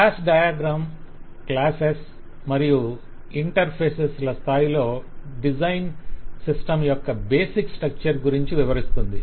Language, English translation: Telugu, Class diagram talks about the basic structure of the design system at the level of classes and interfaces